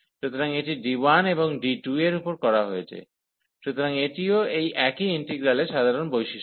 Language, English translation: Bengali, So, this is over D 1 and this is over D 2, so that is also common property of the of this single integral